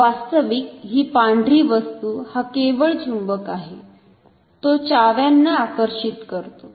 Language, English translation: Marathi, Actually, this white object this is only the magnet, it attracts my keys